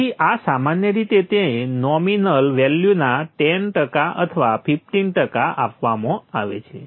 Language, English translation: Gujarati, So this is generally given like 10% or 15% of your nominal value